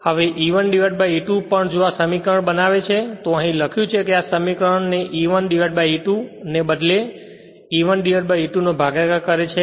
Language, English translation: Gujarati, Now also E1 by E2 if you this expression this this expression if you make, here it is written that this expression you make it E1 by E2 you just divide E1 by E2 then it will be like this